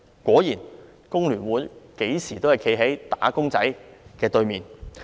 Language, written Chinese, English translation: Cantonese, 果然，工聯會任何時候均站在"打工仔"的"對面"。, Sure enough FTU stands opposite to wage earners at all times